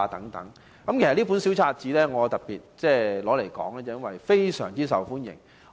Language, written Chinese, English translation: Cantonese, 我特別提述這本小冊子，因為它非常受歡迎。, I specially mention this brochure because it is so popular that it often runs out of stock